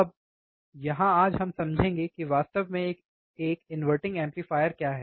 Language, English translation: Hindi, Now, here today we will be understanding what exactly an inverting amplifier is